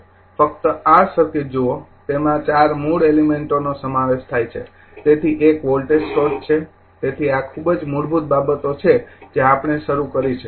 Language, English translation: Gujarati, Just look at this circuit it consist of four basic element so, one is voltage source so, this is very you know very basic things we have started